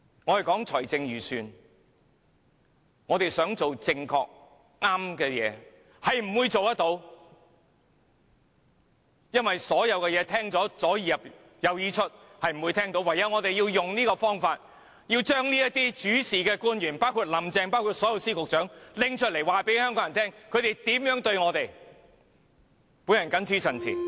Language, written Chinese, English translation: Cantonese, 我們談財政預算案，我們想做正確的事情，是不會做到的，因為官員聽後也充耳不聞，我們唯有採取這種方法，把主事的官員，包括林鄭月娥和所有司局長拿出來告訴香港人，他們如何對待我們。, When the team harms Hong Kong he cannot be excused . When make things correct in the Budget government officials will not listen . So we will not succeed and must turn to a tactic like this forcing the officials in charge including Carrie LAM the Secretaries of Departments and all bureau directors to tell Hong Kong people how they are treating us